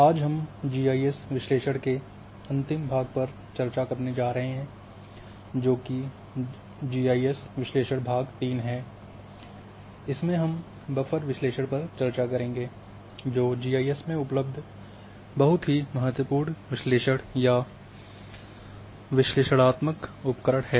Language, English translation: Hindi, Today we are going to discuss the last part of GIS analysis that is GIS analysis part 3, in which we are going to discuss buffer analysis which is very important analysis or analytical tools which are available in GIS